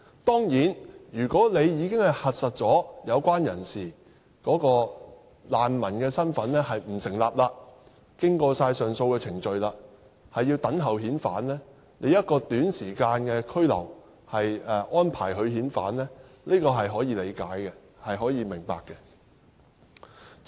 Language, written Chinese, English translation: Cantonese, 當然，如果有關人士的難民身份已經被核實不成立，並已經過上訴程序，那麼拘留一段短時間等候遣返，是可以理解和明白的。, Of course if the refugee status of the relevant person is found untenable through the verification and appeal process then it is understandable to detain him for a short period of time pending repatriation